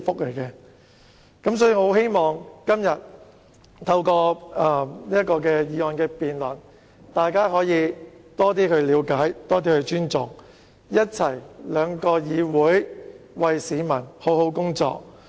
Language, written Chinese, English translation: Cantonese, 所以，我很希望透過今天的議案辯論，讓大家有更多了解和尊重，讓兩層議會一起為市民好好工作。, Hence I very much hope that through the motion debate today Members will gain more understanding and respect thereby enabling the two - tier structure to do a great job together for members of the public